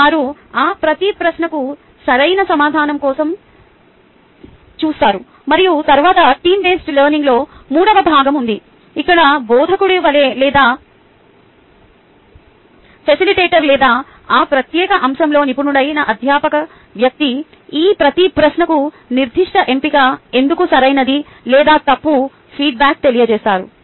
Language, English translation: Telugu, and then there is part three of the team based learning, where the instructor or the facilitator or the faculty person who is an expert in that particular topic gives them a feedback on each of these question as why that particular option was correct or incorrect